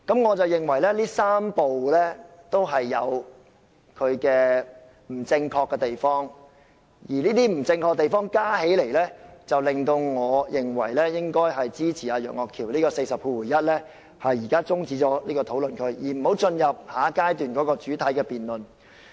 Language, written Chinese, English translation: Cantonese, 我認為這3步也有各自不正確之處，而這些不正確的地方加起來，令我認為應該支持楊岳橋議員根據第401條提出將辯論中止待續的議案，即有關討論應予中止，不應進入下一階段的主體辯論。, In my view some of the arguments in each of these three steps are wrong . And with all these incorrect arguments combined I consider it necessary to support the motion of adjournment of debate proposed by Mr Alvin YEUNG under RoP 401 which means the discussion should be stopped and we should not enter the main debate of the next stage